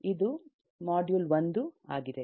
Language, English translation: Kannada, this is module 1